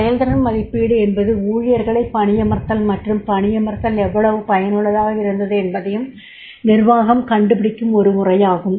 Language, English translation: Tamil, Performance appraisal is the step where the management finds out how effective it has been at hiring and placing employees, right